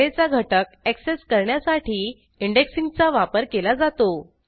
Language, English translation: Marathi, Indexing is used to access elements of an array